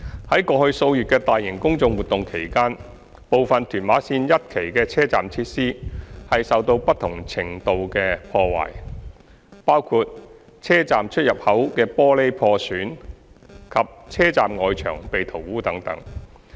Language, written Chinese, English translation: Cantonese, 二過去數月的大型公眾活動期間，部分屯馬綫一期的車站設施受到不同程度的破壞，包括車站出入口的玻璃破損及車站外牆被塗污等。, 2 In view of the large - scale public order events over the last few months some of the TML1 station facilities have been damaged in varying degree including the damage to the glazing at the station entrances and graffiti on the walls outside the stations